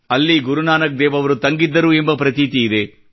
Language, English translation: Kannada, It is believed that Guru Nanak Dev Ji had halted there